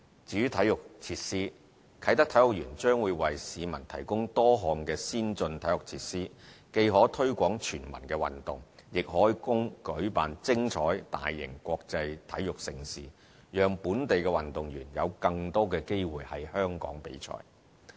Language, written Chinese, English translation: Cantonese, 至於體育設施，啟德體育園將為市民提供多項先進的體育設施，既可推廣全民運動，亦可供舉辦精彩大型國際體育盛事，讓本地運動員有更多機會在香港作賽。, Regarding sports facilities the Kai Tak Sports Park is going to provide people with a number of advanced sports facilities and is well suited for both promoting community - wide participation in sports and hosting exciting mega international sports events to allow local athletes more chances to participate in sporting events in Hong Kong